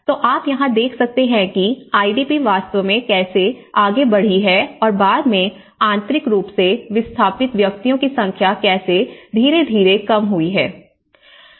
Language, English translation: Hindi, So, you can see here that you know, the IDP how it has actually progressed and it has come down, later on, the number of internal displaced persons, how they have come down gradually